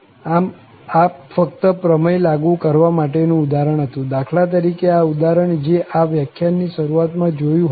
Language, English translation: Gujarati, So, this is just an example to apply this theorem, so, we have for instance this example, which was discussed at the beginning of this lecture